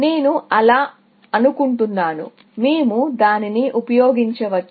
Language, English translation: Telugu, I think so, we can use that